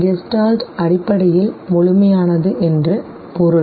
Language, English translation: Tamil, Gestalt basically means whole, complete